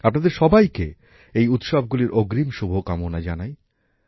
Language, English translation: Bengali, Advance greetings to all of you on the occasion of these festivals